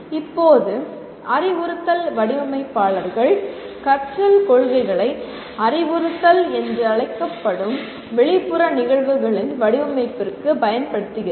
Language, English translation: Tamil, Now instructional designers apply the principles of learning to the design of external events we call instruction